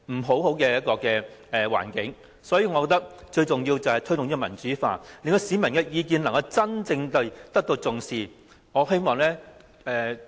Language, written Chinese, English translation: Cantonese, 所以，我認為，最需要的改革是推動民主化，令市民的意見真正受到重視。, Therefore in my view the most urgent reform is to promote democratization so that the views of the public can really be taken seriously